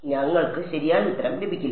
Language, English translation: Malayalam, So, we will not get the right answer